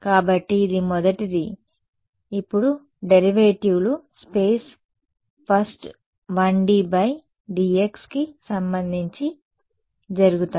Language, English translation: Telugu, So, the first so the derivatives now will happen with respect to space first 1D by dx